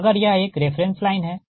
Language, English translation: Hindi, this is a reference voltage